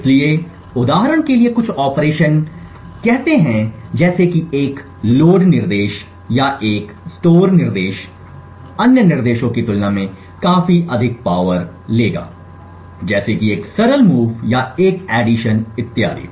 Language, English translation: Hindi, So for example some operations say a load instruction or a store instruction would take considerably more power compared to other instructions such as a simple move or an addition and so on